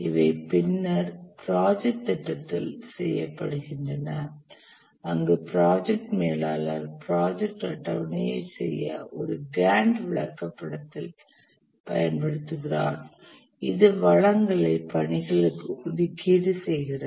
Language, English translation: Tamil, These are done later in the project planning where the project manager uses a Gant chart to do the project scheduling, where these allocation of resources to the tasks are done